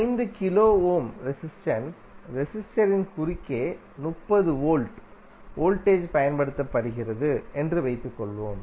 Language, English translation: Tamil, That is supposed a 30 volt voltage is applied across a resistor of resistance 5 kilo Ohm